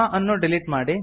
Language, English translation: Kannada, Let us delete this